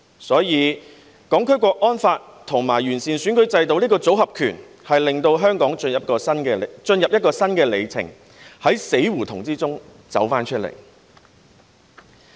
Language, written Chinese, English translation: Cantonese, 所以，《香港國安法》和完善選舉制度這個"組合拳"，令香港進入一個新里程，從死胡同走出來。, Therefore the combination punches of the Hong Kong National Security Law and improvement of the electoral system have ushered in a new era for Hong Kong out of a dead end